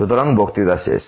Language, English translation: Bengali, So, that is the end of the lecture